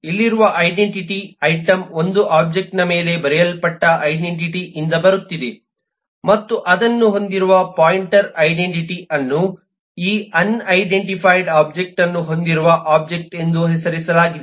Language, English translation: Kannada, the identity here is coming from the identity that is written on the item1 object and the identity of the pointer which holds this are named object which holds this unidentified object